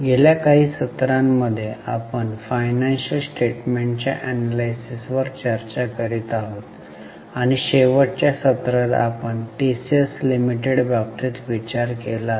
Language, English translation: Marathi, In last few sessions of financial statements of financial statements and in the last session we are discussing analysis of financial statements and in the last session we had taken up case of TCS Limited